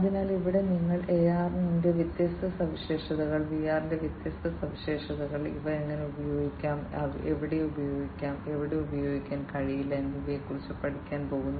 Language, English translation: Malayalam, So, here you are just going to learn about the different features of AR, different features of VR, how they can be used, where they can be used, where they cannot be used